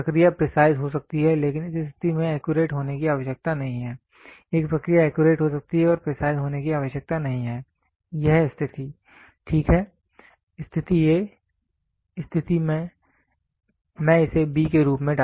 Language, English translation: Hindi, A process can be precise, but need not be accurate this condition a process can be accurate need not be precise this condition, ok, condition a, condition I will put it as b